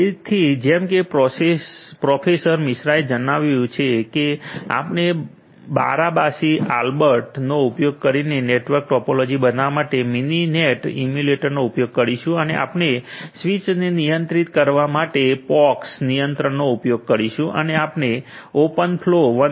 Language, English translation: Gujarati, So, vice professor Misra mentioned that we will be using the Mininet emulator to creating the network topology using Barabasi Albert and we use the POX controller to control the switches and we are using open flow 1